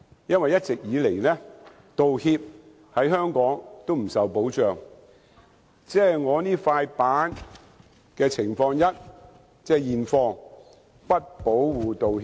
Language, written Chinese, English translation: Cantonese, 因為一直以來，道歉在香港不受保障，即如我手上這塊板子的情況一：現況是不保護道歉的。, In Hong Kong the making of apologies has never been protected by law . The current situation in Hong Kong is that making an apology is not under any form of protection which is Scenario One on the placard I am holding